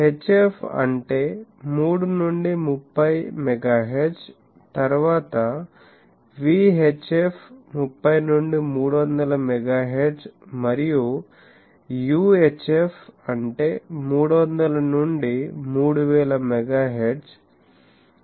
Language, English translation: Telugu, HF means 3 to 30 megahertz, then VHF 30 to 300 megahertz and UHF that is 300 to 3000 megahertz, 300 megahertz, it, TV transmissions